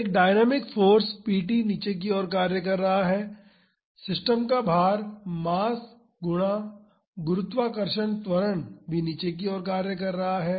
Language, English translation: Hindi, So, a dynamic force p t is acting downwards weight of the system is equal to mass times gravitational acceleration is also acting downwards